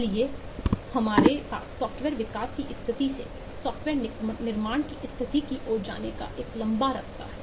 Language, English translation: Hindi, so we have a long way to go from the status of software development to the status of software construction